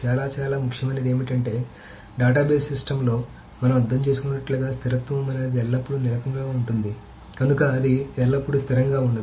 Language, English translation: Telugu, So, very, very importantly, what it does is that the consistency, the consistency as we understand in a database system is that it is consistency always, so it's not always consistent